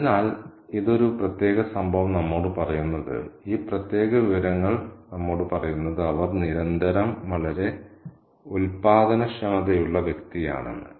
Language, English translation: Malayalam, So, this particular incident tells us, this particular information tells us that she is a person who is constantly very productive